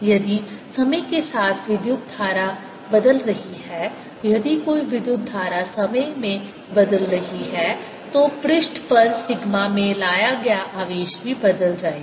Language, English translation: Hindi, the other way, if the current is changing in time, if a current is changing in time, then the charge that is brought in the sigma on the surface right will also change